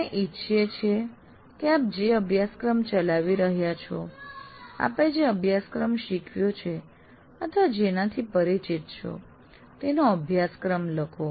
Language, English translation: Gujarati, Now we would like you to write the syllabus of your course within the framework you are operating for a course you taught or familiar with